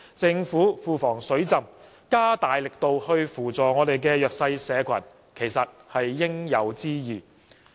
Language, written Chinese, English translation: Cantonese, 政府庫房"水浸"，加大力度扶助弱勢社群其實是應有之義。, Since the Governments coffers are overflowing it should more vigorously help the disadvantaged